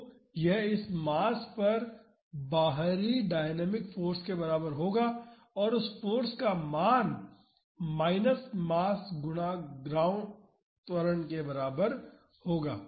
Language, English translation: Hindi, So, that would be equivalent to having an external dynamic force on this mass and the value of that force will be equal to minus mass time’s ground acceleration